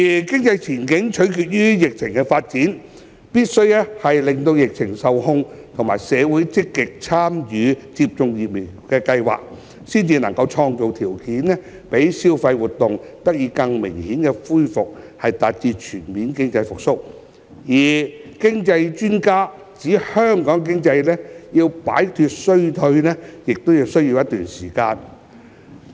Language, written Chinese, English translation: Cantonese, 經濟前景取決於疫情發展，疫情必須受控，而社會亦必須積極參與疫苗接種計劃，才能創造條件讓消費活動得以更明顯恢復，達至經濟全面復蘇，而經濟專家亦指香港經濟要一段時間才能擺脫衰退。, Our economic outlook hinges on the development of the epidemic situation . Only when the epidemic situation is brought under control and members of the public actively join the vaccination programme will create conditions for a more pronounced recovery of consumption activities thereby achieving full economic recovery . According to some economic experts it will take some time for the Hong Kong economy to get out of the recession